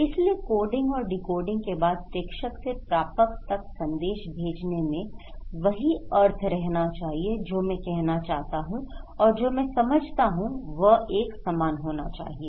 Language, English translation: Hindi, So, sending the message from sender to receiver after coding and decoding should be same meaning, what I want to mean and what I understand should be same